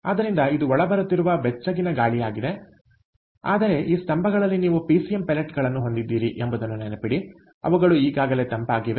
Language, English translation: Kannada, so its warm air that is coming in, but remember, in these pillars you have pcm pellets which are solidified, ok, which are already cooled